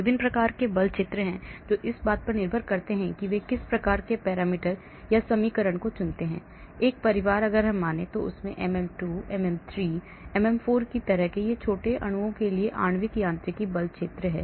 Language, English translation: Hindi, There are different types of force fields depending upon what type of parameters they choose, what type of equations they choose; like one family MM2, MM3, MM4, these are molecular mechanics force field for small molecules